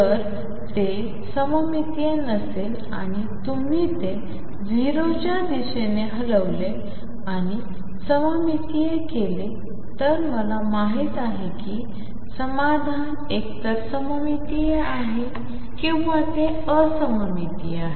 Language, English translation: Marathi, If it is not symmetric see if you shift it towards 0 and make it symmetric then I know that the solution is either symmetric or it is anti symmetric